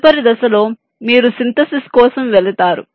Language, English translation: Telugu, in the next step you go for synthesis